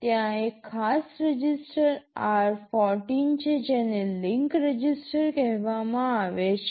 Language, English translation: Gujarati, There is a special register r14 which is called the link register